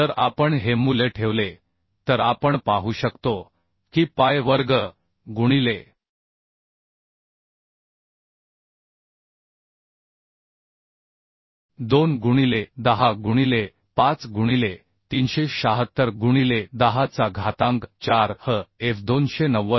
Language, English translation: Marathi, 5 So if we put this value we can see that si pi square into 2 into 10 to the 5 into 376 into to the 4 hf is 290